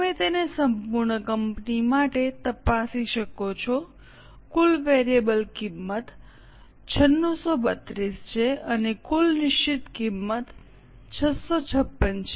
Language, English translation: Gujarati, You can cross check it for the whole company the total variable cost is 9 632 and total fixed cost is 656